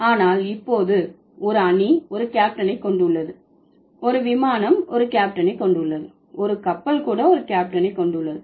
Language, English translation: Tamil, A team also has a captain, a flight also has a captain, a ship also has a captain